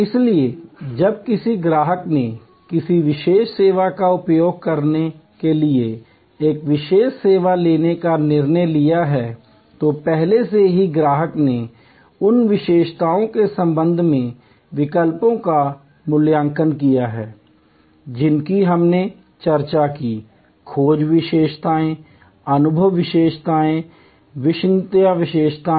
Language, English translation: Hindi, So, when a customer has taken a decision to occur a particular service to use a particular service, then already the customer has evaluated the alternatives with respect to those attributes that we discussed, the search attributes, the experience attributes and the credence attributes